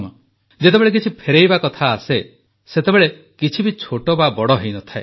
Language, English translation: Odia, When it comes to returning something, nothing can be deemed big or small